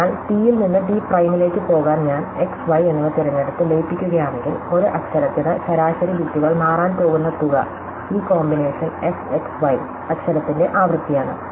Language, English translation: Malayalam, So, if I choose x and y to merge to go from T to T prime, then the amount by the which the average bits per letter is going to change is exactly the frequency of this combine letter f x y